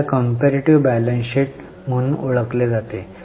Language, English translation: Marathi, So, are you getting, this is known as comparative balance sheet